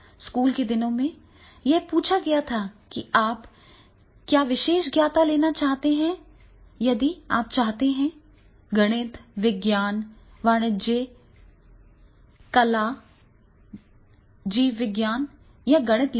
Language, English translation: Hindi, In the school days also it has been asked that is what specialization you want to take you want to take the mathematics or science commerce or you want to take arts, biology, mathematics